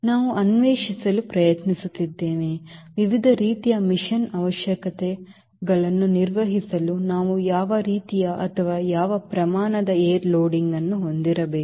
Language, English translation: Kannada, we are trying to explore what sort of or what magnitude of wind loading we should have to perform various mission requirements